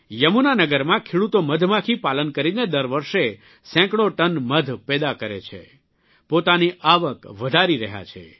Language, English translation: Gujarati, In Yamuna Nagar, farmers are producing several hundred tons of honey annually, enhancing their income by doing bee farming